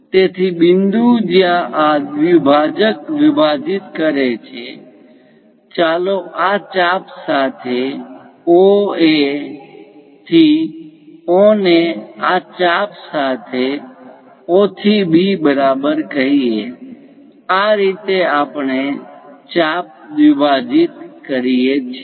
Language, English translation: Gujarati, So, the point where this bisector dividing; let us call O, A to O along this arc equal to O to B along this arc; this is the way we construct bisecting an arc